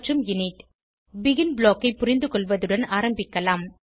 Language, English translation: Tamil, INIT Let us start with understanding the BEGIN block